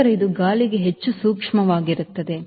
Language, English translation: Kannada, then it will be a more sensitive to wind